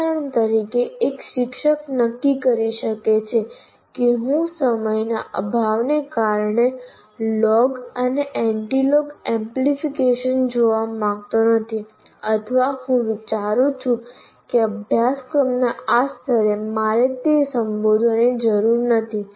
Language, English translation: Gujarati, For example, a teacher may decide that I don't want to look at log and anti log amplification because for the lack of time or I consider at the first level of, at this level of this course, I don't need to address that